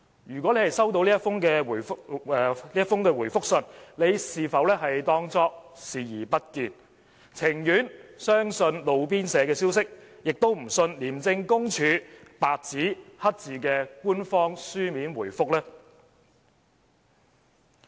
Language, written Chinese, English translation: Cantonese, 如果他已收到這封覆函，他是否當作視而不見，而情願相信"路邊社"消息，也不相信廉署白紙黑字的官方書面答覆呢？, And if he has received the reply has he turned a blind eye to it and chosen to believe all the hearsay rather than the official written reply from ICAC?